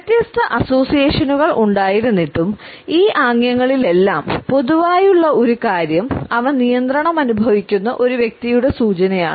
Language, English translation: Malayalam, Despite the different associations one thing which is common in all these gestures is that they are an indication of a person who feels in control